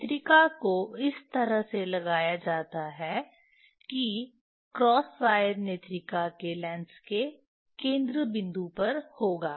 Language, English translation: Hindi, eye piece is put in such a way that the cross wire will be at the focal point of the lens of the eye piece